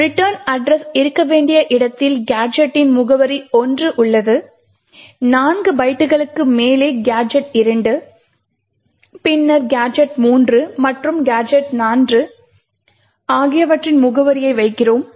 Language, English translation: Tamil, In the location where the return address should be present, we put the address of the gadget 1, 4 bytes above that we put the address of gadget 2, then gadget 3 and gadget 4